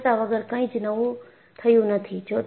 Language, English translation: Gujarati, Without failures, nothing has happened